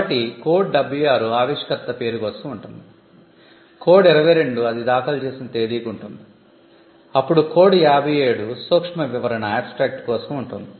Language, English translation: Telugu, So, code 76 will be for the inventor’s name, code 22 will be for the date on which it is filed, then, code 57 will be for the abstract